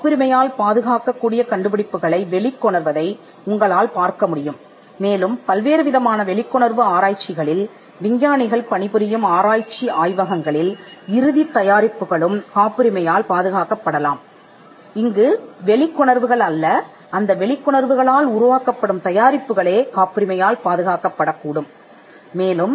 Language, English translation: Tamil, You could find knowledge based startups coming out with inventions that are patentable, and research laboratories where scientists work on various discoveries could also be the end products not the discoveries themselves, but the products that manifest out of their discoveries could be patentable